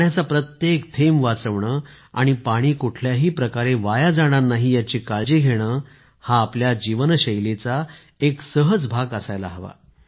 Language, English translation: Marathi, Saving every drop of water, preventing any kind of wastage of water… it should become a natural part of our lifestyle